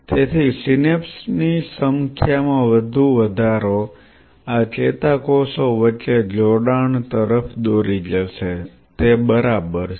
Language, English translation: Gujarati, So, increase in number of synapses further, what this will lead to connectivity between neurons increases right ok